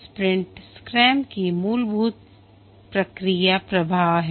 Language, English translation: Hindi, The sprint is the fundamental process flow of scrum